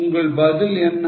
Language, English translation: Tamil, What is your answer